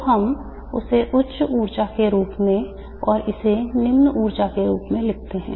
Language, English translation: Hindi, So let me write this as the higher energy and this as the lower energy